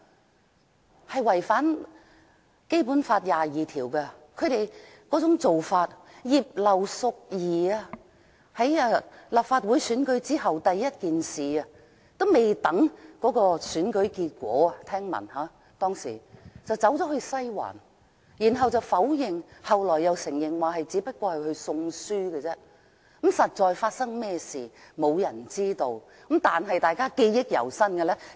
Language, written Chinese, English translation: Cantonese, 他們的做法違反《基本法》第二十二條，例如，據聞葉劉淑儀議員在立法會選舉還未有結果的時候，已經去了"西環"，她初時否認，後來承認只是去送書，但實際上發生甚麼事，並沒有人知道。, Their practice is in contravention of Article 22 of the Basic Law . For example rumour has it that Mrs Regina IP visited Western District before the results of the Legislative Council election was announced . She initially denied but she later admitted that she just went there to give a book